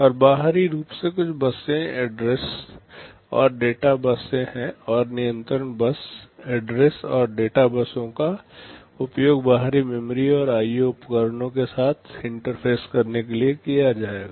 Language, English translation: Hindi, And externally there are some buses, address and data bus and there can be control bus, address and data buses will be used to interface with external memory and IO devices